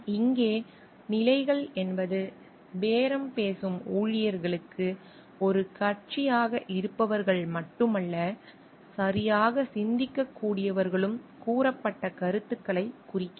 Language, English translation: Tamil, Positions here refers to stated views not only those who are a party to the bargaining employees, but who can think correctly